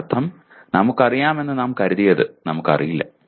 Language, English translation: Malayalam, That means what we thought we knew, we did not know